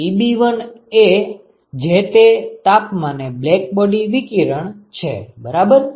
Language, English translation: Gujarati, Ebi is just the blackbody radiation at that temperature right